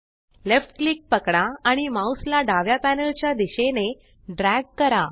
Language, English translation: Marathi, Hold left click and drag your mouse towards the left panel